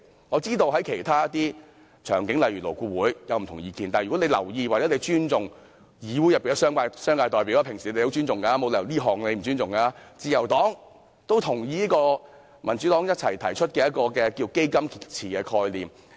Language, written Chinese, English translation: Cantonese, 我知道其他方面，例如勞工顧問委員會，有不同意見，但如果局長留意或尊重議會內的商界代表——政府平時很尊重他們，沒理由這次不尊重他們——自由黨也認同這項民主黨共同提出的"基金池"概念。, I understand that other parties such as the Labour Advisory Board may take exception to this point . But if the Secretary pays heed to or respects the representatives of the business sector in this Council―The Government usually respects them and there is no reason not to respect them this time around―The Liberal Party also agrees to this fund pool concept proposed jointly by the Democratic Party